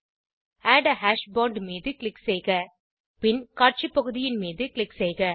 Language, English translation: Tamil, Click on Add a hash bond and then click on the Display area